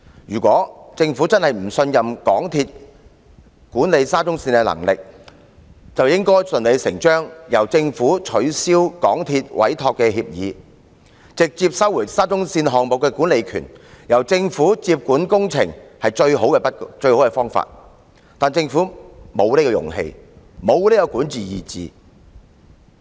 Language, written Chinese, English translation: Cantonese, 如果政府真的不信任港鐵公司管理沙中線的能力，便應順理成章取消港鐵公司的委託協議，直接收回沙中線項目的管理權，由政府接管工程是最好的方法，但政府沒有這種勇氣，沒有這種管治意志。, If the Government does not believe in MTRCLs capabilities of managing the SCL Project it should take this opportunity to cancel the Entrustment Agreement signed with MTRCL . The best solution is for the Government to take back the management of the SCL Project and take charge of the works . However the Government is not courageous enough to do so as it lacks such will of governance